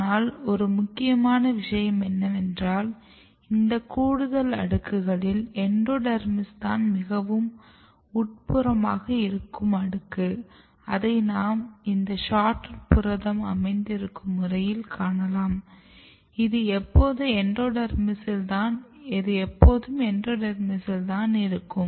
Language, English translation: Tamil, But important thing here is that in this extra layer out of these extra layers your endodermis is only the inner most layer as you can see from the localization pattern of SHORTROOT protein, which is also always in the endodermis